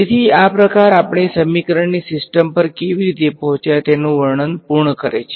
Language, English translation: Gujarati, So, this sort of completes the description of how we arrived at a system of equation